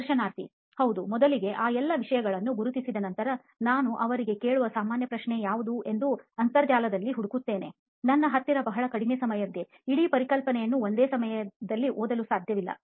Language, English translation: Kannada, First, identifying all those things and then after that thing, I will search on Internet like what is the most common question that they ask, so that I have a very short time, I cannot read the whole concept in one time